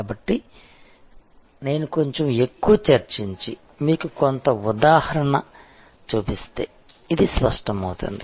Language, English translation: Telugu, So, as I discuss a little bit more and show you some example, this will become clear